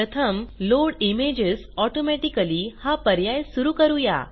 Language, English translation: Marathi, Check the Load images automatically box